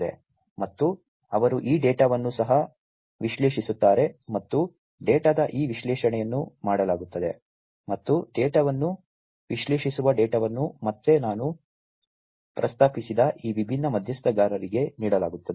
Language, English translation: Kannada, And they this data are also analyzed and this analysis of the data is done, and that analyze data is again offered to these different stakeholders that I just mentioned